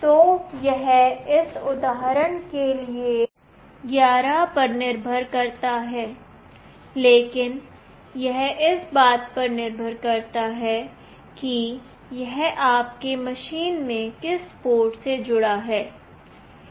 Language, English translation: Hindi, So, it depends it is 11 for this example, but it depends on to which port it is connected in your machine